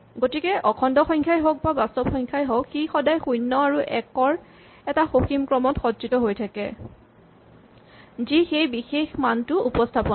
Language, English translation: Assamese, So, we can assume that every number whether an integer or real number is stored as a finite sequence of zeroes and ones which represents its value